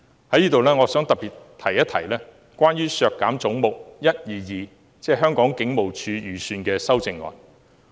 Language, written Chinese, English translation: Cantonese, 在此，我想特別一提有關削減"總目 122— 香港警務處"預算開支的修正案。, Here I would like to specifically mention the amendment proposing to reduce the estimated expenditure of Head 122―Hong Kong Police Force